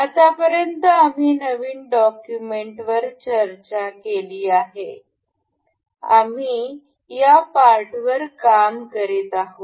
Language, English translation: Marathi, Up till now we have discussed the new document, we were we have been working on this part